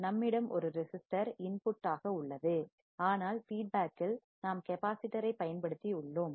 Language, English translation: Tamil, we have a resistor as an input, but in the feedback we have used a capacitor